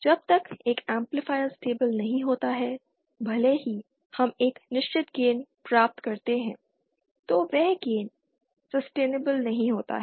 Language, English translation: Hindi, Unless an amplifier is stable even if we achieve a certain gain then that gain not be sustainable